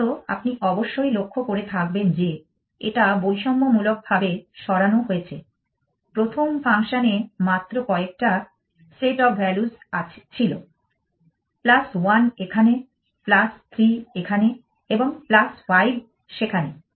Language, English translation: Bengali, First of all you must notice that it is moved discriminative the first function had only very few set of values plus 1 here plus 3 here and plus 5, there essentially